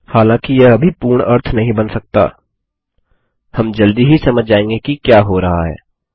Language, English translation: Hindi, While this may not make absolute sense right now, we will soon understand whats happening